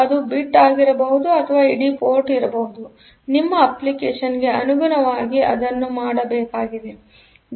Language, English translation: Kannada, So, it may be to the bit or may be to the entire port; depending upon your application, but that has to done